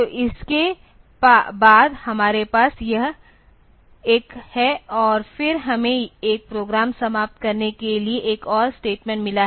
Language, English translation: Hindi, So, after this we have this one and then we have got another statement to end a program